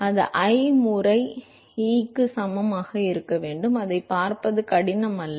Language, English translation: Tamil, Then that should be equal to I times E, that is not difficult to see that